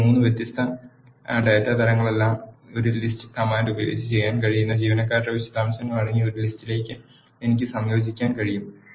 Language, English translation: Malayalam, Now, I can combine all these three different data types into a list containing the details of employees which can be done using a list command